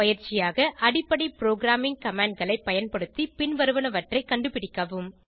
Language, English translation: Tamil, As an assignment, I would like you to use basic programming commands to find ..